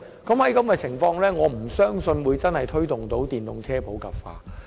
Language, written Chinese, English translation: Cantonese, 這樣的話，我實在難以相信我們能真正推動電動車普及化。, If that is the case it is really difficult for me to believe that we can promote the popularization of EVs